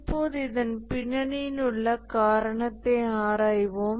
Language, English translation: Tamil, Now let's investigate the reason behind this